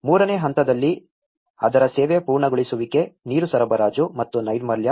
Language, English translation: Kannada, On the stage 3, the service completion of it, the water supply and sanitation